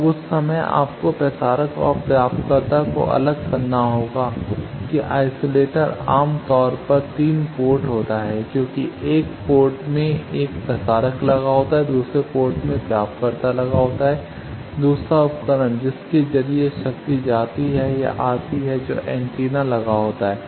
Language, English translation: Hindi, Now that time you need to isolate the transmitter and receiver that isolator is generally 3 port because in one of the port the transmitter is put another port receiver is put, another the device through which power goes or comes that is antenna that is put